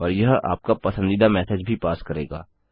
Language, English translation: Hindi, And itll also pass a message of your choice